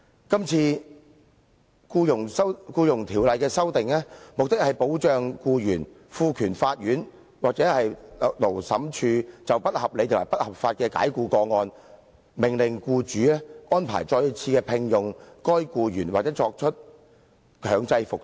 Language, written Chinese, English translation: Cantonese, 這次《僱傭條例》的修訂，目的是保障僱員，並賦權法庭或勞資審裁處就不合理及不合法的解僱個案，命令僱主再次聘用被解僱的僱員，或者作出強制復職。, The proposed amendments to the Employment Ordinance seek to protect employees and empower the court or Labour Tribunal to order the employer to re - engage or reinstate the employee in cases of unreasonable and unlawful dismissal